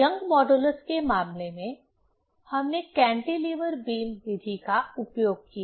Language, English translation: Hindi, In case of Young modulus, we used cantilever beam method